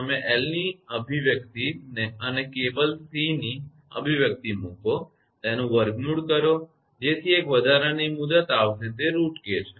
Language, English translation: Gujarati, You put the expression of L and expression of C of cable and root it that one extra term will come that is root k